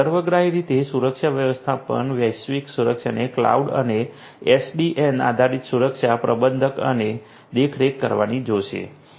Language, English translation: Gujarati, Security management holistically global security handling at the cloud and SDN based security management and monitoring